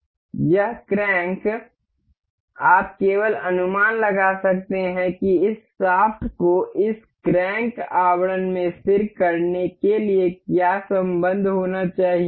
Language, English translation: Hindi, This crank uh we you can just guess what relation does it need to be to to for this shaft to be fixed into this crank casing